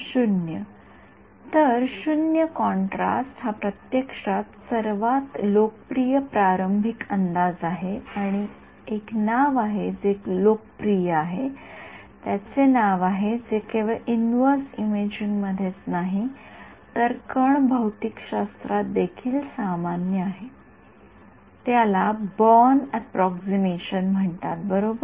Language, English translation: Marathi, So, 0 contrast is actually is the most popular starting guess and there is a name it is so popular there is a name for it which is common in not just in inverse imaging, but also in particle physics, it is called the Born approximation right to begin with